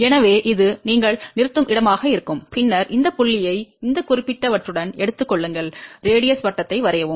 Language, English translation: Tamil, So, this will be the point where you stop and then you take this point with this particular radius draw the circle